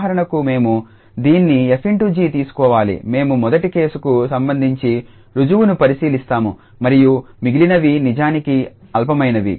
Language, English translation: Telugu, So, we have to take this f star g for instance just the proof we will go through for the first case and the others are actual trivial